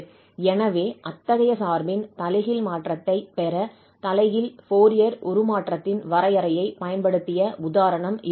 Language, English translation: Tamil, So, this was the example where we have used the definition of inverse Fourier transform to get the inverse transform of such a function